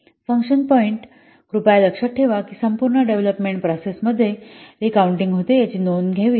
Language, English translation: Marathi, The function points, please remember that they should be recounted throughout the development process